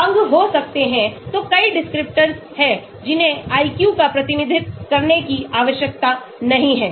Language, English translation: Hindi, Can limbs be; so there are many descriptors which need not be a representation of the IQ